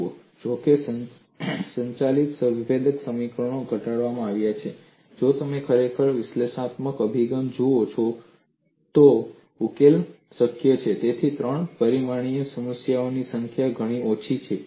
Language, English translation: Gujarati, See, although the governing differential equations are formulated; if you really look at the analytical approach, the number of three dimensional problems that are solvable are very less